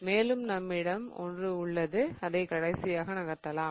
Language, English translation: Tamil, Okay and one more we have wherein I move the last one